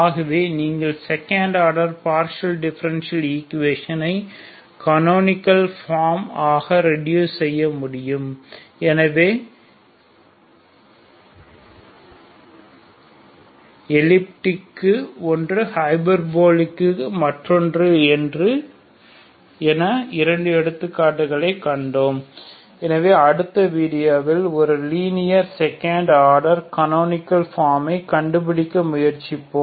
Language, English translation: Tamil, So this is how you can reduce second order partial differential equation into canonical form so we have seen two examples one for hyperbolic one for elliptic so in the next video we will try to find canonical form of a linear second order partial differential equation will try to reduce so that equation